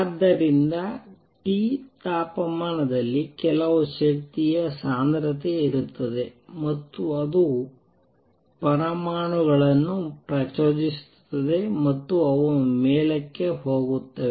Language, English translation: Kannada, So, at temperature T there exists some energy density and that makes these atoms excite and they go up